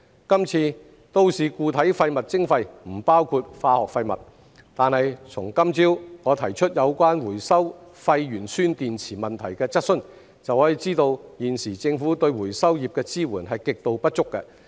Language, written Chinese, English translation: Cantonese, 今次都市固體廢物徵費不包括化學廢物，但從今早我提出有關回收廢鉛酸電池問題的質詢，就可知道現時政府對回收業的支援極度不足。, While chemical waste is excluded from this MSW charging from the question I asked about the recycling of waste lead - acid batteries this morning we can tell that the Governments support for the recycling industry is extremely inadequate at this point